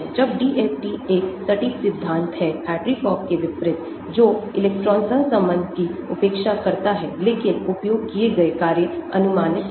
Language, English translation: Hindi, When DFT is an exact theory unlike Hartree Fock which neglects electron correlation but the functionals used are approximate